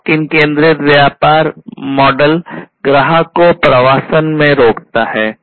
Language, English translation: Hindi, Lock in centric business model prevents the customer from migration